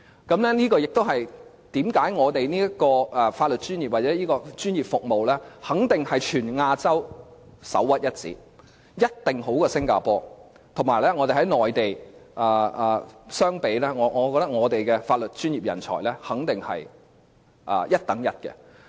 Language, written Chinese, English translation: Cantonese, 這也是為甚麼香港的法律專業或這專業服務肯定是全亞洲首屈一指，一定較新加坡好；以及香港與內地相比，我認為香港的法律專業人才肯定是一流的。, This is also the reason why Hong Kongs legal profession or the professional service it provides is second to none in Asia and definitely better than that of Singapore . In addition comparing Hong Kong with the Mainland I think the talents in Hong Kongs legal profession definitely belong to the first class